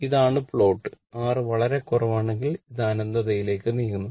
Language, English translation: Malayalam, This is the plot and if R if R is very low it tends to infinity right